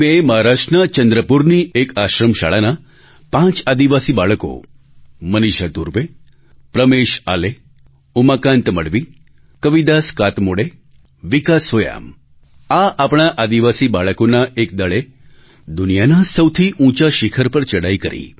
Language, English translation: Gujarati, On the 16th of May, a team comprising five tribal students of an Ashram School in Chandrapur, Maharashtra Maneesha Dhurve, Pramesh Ale, Umakant Madhavi, Kavidas Katmode and Vikas Soyam scaled the world's highest peak